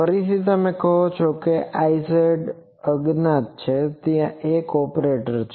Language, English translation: Gujarati, Again you say I z dashed is unknown there is an operator